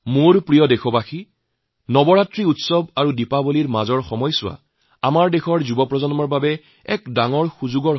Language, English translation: Assamese, My dear countrymen, there is a big opportunity for our younger generation between Navratra festivities and Diwali